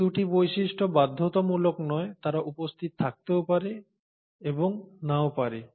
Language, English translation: Bengali, Now these 2 features are not mandatory but they may or may not be present